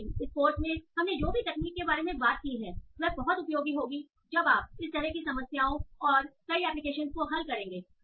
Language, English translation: Hindi, But whatever techniques we have talked about in this course will be very, very helpful when you go and solve these sort of problems and many other applications